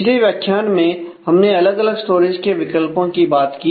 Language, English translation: Hindi, In the last module we have talked about different storage options